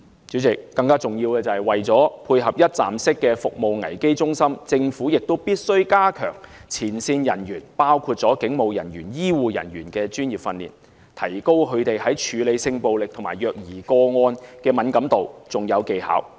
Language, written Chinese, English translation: Cantonese, 主席，更重要的是，為了配合一站式服務危機支援中心，政府必須加強前線人員，包括警務人員、醫護人員的專業訓練，提高他們處理性暴力和虐兒個案時的敏感度和技巧。, President what is more important is that in order to keep the service standard level up to that of the one - stop crisis support centre and to enhance the sensitivity and skills of frontline workers in handling cases of sexual violence and child abuse cases including police officers and health care workers the Government should strengthen their professional training